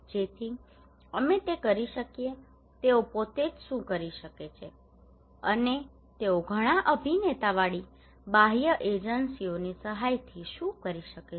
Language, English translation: Gujarati, So that we can do through what we can what they can do by themselves and what they can do with the help of external agencies with lot of actors are involved